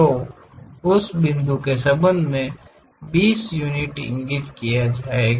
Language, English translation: Hindi, So, with respect to that point twenty units locate it